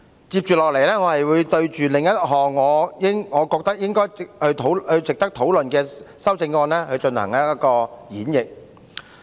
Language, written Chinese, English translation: Cantonese, 接下來，我會就另一項我認為值得討論的修正案進行演繹。, Next I will elaborate on one amendment which I believe is worthy of discussion